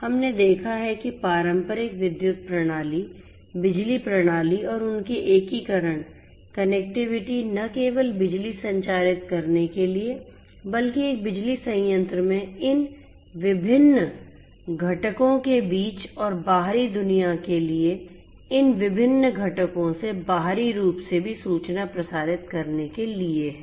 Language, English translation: Hindi, We have seen that traditional electrical systems, power systems and their integration connectivity not only to transmit electricity, but also to transmit information between these different components in a power plant and also externally from these different components to the outside world